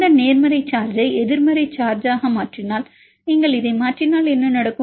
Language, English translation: Tamil, If we mutate this positive charge to negative charge if you mutate this one then what will happen